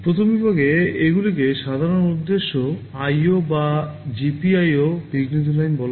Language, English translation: Bengali, In the first category these are called general purpose IO or GPIO interrupt lines